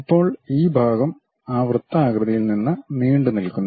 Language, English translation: Malayalam, Now, this part is protruded part from that circular one